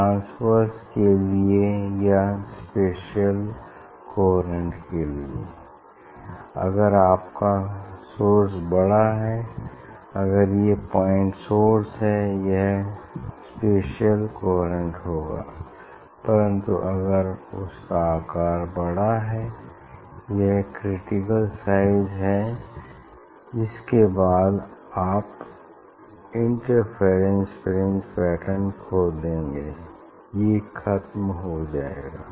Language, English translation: Hindi, If it is point source it will be spatially coherent, but if size is increase, there is a critical size after that you will lose the interference fringe pattern it will vanish